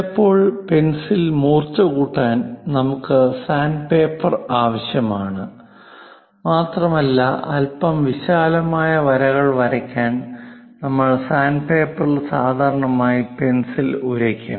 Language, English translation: Malayalam, To sharpen the pencil sometimes, we require sand paper and also to make it bit wider kind of lines on this sand paper, we usually rub this pencil